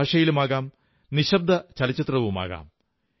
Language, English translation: Malayalam, It can be in any language; it could be silent too